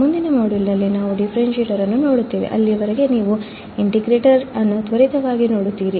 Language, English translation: Kannada, We will see the differentiator in the next module, till then you just quickly see the integrator